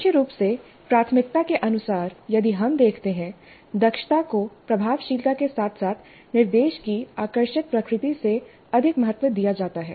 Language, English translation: Hindi, But primarily the priority way if we see efficiency is valued over effectiveness as well as engaging nature of the instruction